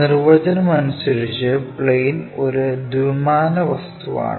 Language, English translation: Malayalam, Plane by definition is a two dimensional object